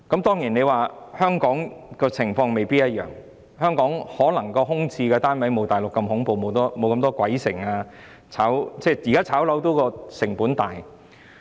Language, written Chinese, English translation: Cantonese, 當然，香港的情況未必一樣，香港的空置單位可能沒有大陸般恐怖，沒那麼多"鬼城"，因為現時炒賣房屋的成本很高。, Of course the situation in Hong Kong may differ in the sense that the vacant flats here may not be so terrifying as in the Mainland and there are not so many ghost towns because the current cost of property speculation is very high